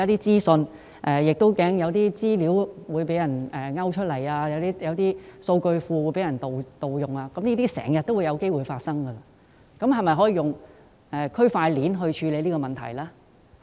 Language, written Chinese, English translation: Cantonese, 政府擔心資料會被勾出或數據庫的資料被盜用，但這些問題時有發生，是否可以利用區塊鏈處理這問題？, The concern of the Government is that data might be extracted or data in the database might be stolen but this happens from time to time . Can we address this problem by blockchain technology?